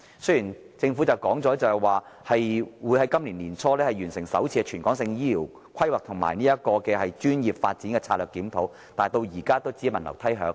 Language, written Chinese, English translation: Cantonese, 雖然政府已說會在本年年初完成首次全港性醫護人力規劃及專業發展策略檢討，但至今仍是只聞樓梯響。, Although the Government has said that the first territory - wide strategic review of healthcare manpower planning and professional development will be completed early this year the review has all been thunder but no rain